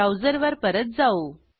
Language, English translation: Marathi, So, switch back to the browser